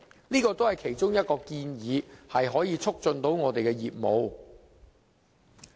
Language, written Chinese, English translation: Cantonese, 這是其中一項可以促進我們業務的建議。, This is a proposal which can facilitate our business development